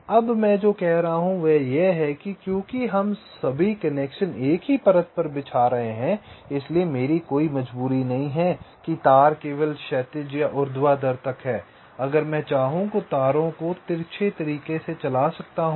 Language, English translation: Hindi, what i am saying is that because we are laying out all the connections on the same layer, so i do not have any compulsion that the wires up to horizontal and vertical only, so i can also run the wires diagonally if i want